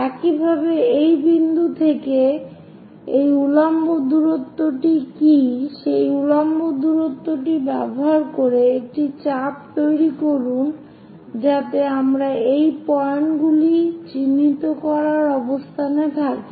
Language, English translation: Bengali, Similarly, from this point, what is this vertical distance, use that vertical distance make an arc so that we will be in a position to mark these points